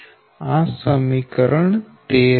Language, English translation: Gujarati, this is equation thirteen right